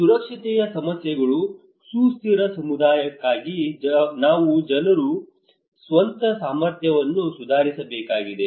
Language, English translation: Kannada, Also for the sustainability issues, sustainable community we need to improve peoples own capacity